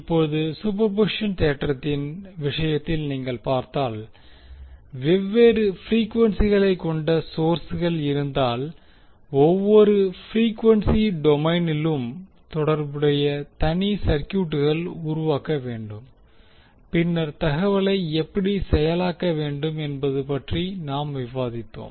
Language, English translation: Tamil, Now, if you see in case of superposition theorem we discussed that if there are sources with different frequencies we need to create the separate circuits corresponding to each frequency domain and then process the information